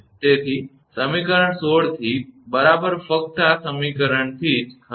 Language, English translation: Gujarati, So, from equation 16 right from this equation only right